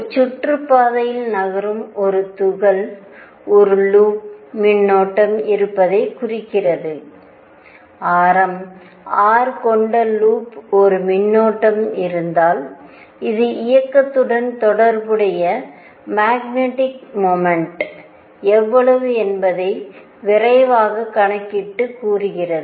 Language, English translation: Tamil, So, a particle moving in an orbit, represents a current in a loop and current in a loop, if there is a current I in a loop of radius R, this implies magnetic moment associated with the motion and just a quick calculation how much will be the magnetic moment